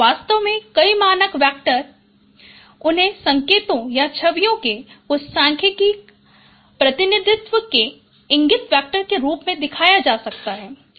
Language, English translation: Hindi, In fact, many standard basis vectors they can be shown as eigenvectors of certain statistical representation of signals or images